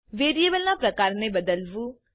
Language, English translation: Gujarati, Variable is used to store a value